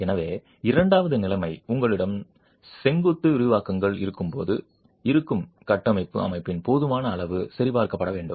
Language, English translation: Tamil, So, the second situation would be when you have vertical expansions and adequacy of the existing structural system would have to be checked